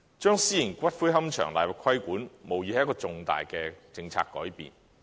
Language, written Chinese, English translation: Cantonese, 將私營龕場納入規管，無疑是一個重大的政策改變。, To put private columbaria under regulation is undoubtedly an important policy change